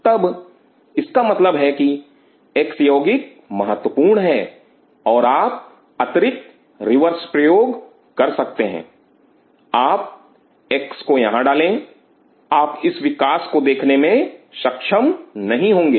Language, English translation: Hindi, Then it means that x compound is important and you can do the reverse experiment you put x here, you should not be able to see this growth